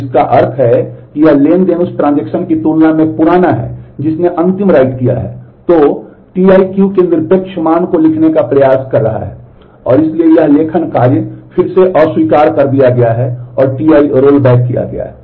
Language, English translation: Hindi, So, which means that this transaction is older than the transaction that has done the last write; So, T i is attempting to write an absolute value of Q, and hence this write operation is again rejected and T i is rolled back